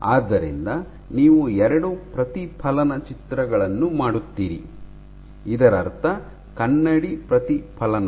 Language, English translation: Kannada, So, you do two mirror images; mirror reflections